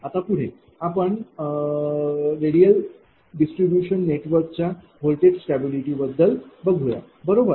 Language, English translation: Marathi, Now, another thing is, that voltage stability of radial distribution network, right